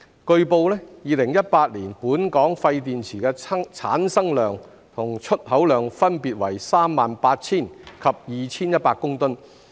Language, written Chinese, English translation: Cantonese, 據報 ，2018 年本港廢電池的產生量和出口量分別為38000及2100公噸。, It has been reported that in 2018 the quantities of waste batteries generated in and exported from Hong Kong were 38 000 and 2 100 tonnes respectively